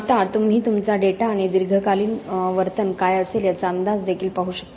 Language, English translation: Marathi, Now you can also look at your data and sort of forecast what is going to be the behaviour in the long term